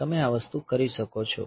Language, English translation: Gujarati, So, you can do this thing